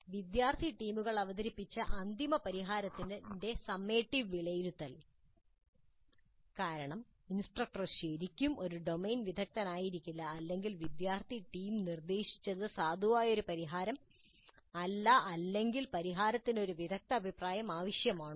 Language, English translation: Malayalam, Summative assessment of the final solution presented by the student teams because the instructor may not be really a domain expert or because the solution proposed by the student team requires certain expert opinion to judge whether it is a valid solution or not